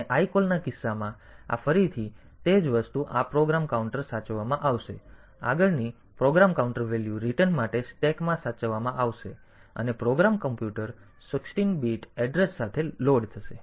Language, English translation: Gujarati, And in case of lcall, this again the same thing this program counter will be saved next program counter value for return will be saved into the stack and program computer will be loaded with the 16 bit address